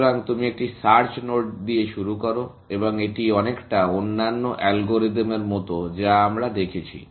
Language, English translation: Bengali, So, you start with a search node and it is very much like the other algorithm that we have seen